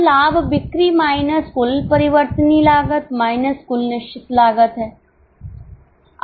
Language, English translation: Hindi, So, profit is sales minus total variable cost minus total fixed costs